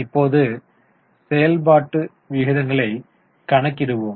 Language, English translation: Tamil, And then we went for calculation of ratios